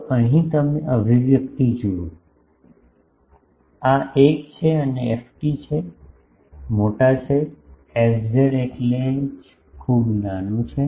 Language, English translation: Gujarati, So, here you see the expression, this is 1 and ft is, sizable, fz is that is why very small